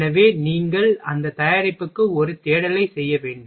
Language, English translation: Tamil, So, you have to make a search for that product